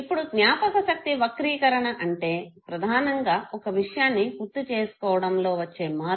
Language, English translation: Telugu, Now memory distortion basically the change in the content of the recall, okay